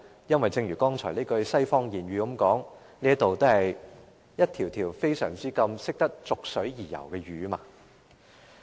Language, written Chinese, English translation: Cantonese, 因為正如剛才那句西方諺語所指，這議會內有很多逐水而游的魚。, As the western proverb says where water flows many fish in this Council follow